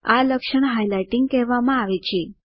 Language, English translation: Gujarati, This feature is called highlighting